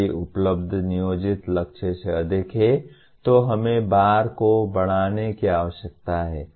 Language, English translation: Hindi, If the achievement exceeds the planned target, we need to raise the bar